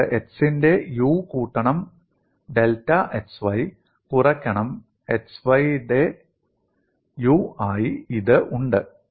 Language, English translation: Malayalam, You are having this as u of x plus delta x comma y minus u of x comma y